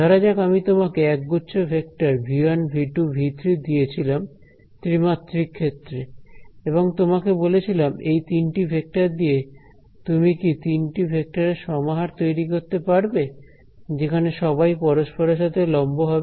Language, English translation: Bengali, Let us say these 3 vectors wherein 3 dimensional space and I say that given these 3 vectors, can you construct a set of 3 vectors which are all orthogonal to each other